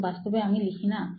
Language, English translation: Bengali, You do not really write